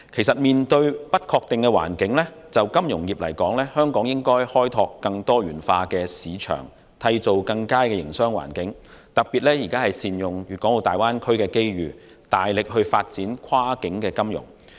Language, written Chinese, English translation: Cantonese, 面對不確定的環境，就金融業而言，香港應開拓更多元化的市場，締造更佳營商環境，特別是善用大灣區的機遇，大力發展跨境金融。, In the face of an uncertain environment as far as the financial services industry is concerned Hong Kong should explore a more diversified market create a better business environment and leverage on the opportunities brought forth by the Greater Bay Area in particular to vigorously develop cross - border financial services